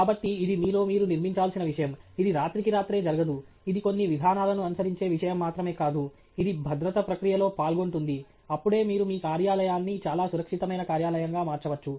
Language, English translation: Telugu, So, it is something that you have to build into you; it doesnÕt happen overnight; itÕs not something that, you know, itÕs just not just a matter following just a few procedures; it is being involved in the process of safety, and only then, you can actually, you know, make your work place a very safe work place